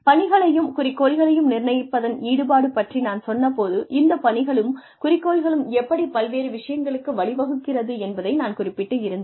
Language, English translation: Tamil, When I talked about involvement in the setting of tasks and objectives, I essentially meant that, how these tasks and objectives, can eventually lead to various other things